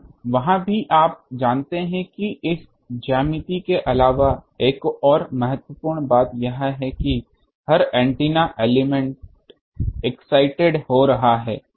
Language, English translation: Hindi, And, also there is you know that apart from this geometry there is another important thing that every antenna element is getting excited